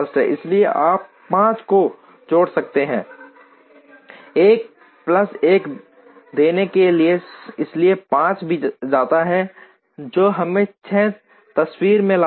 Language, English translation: Hindi, So, you could add 5 here to give a plus 1, so 5 also goes which brings us 6 into the picture